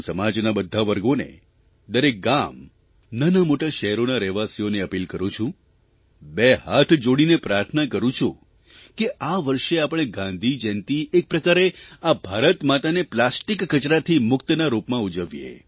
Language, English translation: Gujarati, I appeal to all strata of society, residents of every village, town & city, take it as a prayer with folded hands; let us celebrate Gandhi Jayanti this year as a mark of our plastic free Mother India